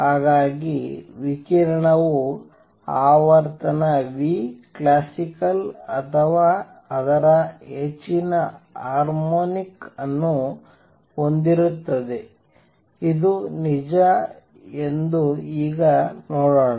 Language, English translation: Kannada, So, the radiation will have frequency nu classical or its higher harmonics; let us now see that this is true